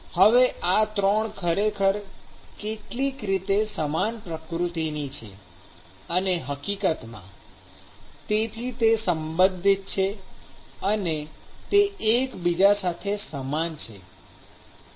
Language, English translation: Gujarati, Now, these 3 are actually similar in some nature and in fact, therefore, they are related and they are analogous to each other